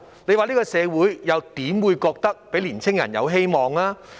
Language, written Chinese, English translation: Cantonese, 試問這個社會又怎會令年青人覺得有希望？, Under such circumstances how can this society give hope to young people?